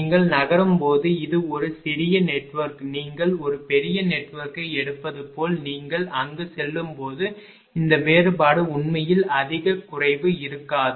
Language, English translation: Tamil, As you are moving this is small network as if you take a large network as a moving towards there this difference actually there will be not much a decrease right